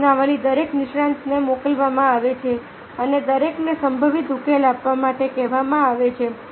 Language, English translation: Gujarati, of the questionnaire is sent to each expert and each ask to provide potential solution